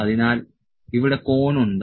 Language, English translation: Malayalam, So, here is the cone